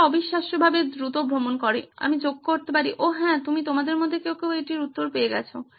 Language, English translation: Bengali, It travels fast incredibly fast, I might add, oh yes you have got it, some of you